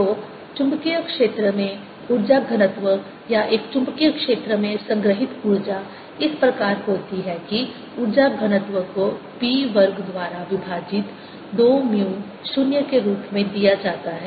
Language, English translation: Hindi, so in the magnetic field the energy density or energy stored in a magnetic field is such that the energy density is given as b square over two mu zero